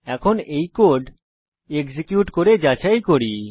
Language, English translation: Bengali, Now lets check by executing this code